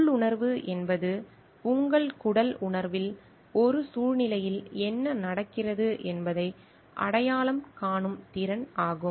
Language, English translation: Tamil, Intuition is the ability to recognise what is going on in a situation on your gut feeling